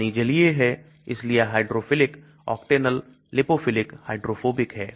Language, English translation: Hindi, Water is aqueous so hydrophilic, Octanol is lipophilic, hydrophobic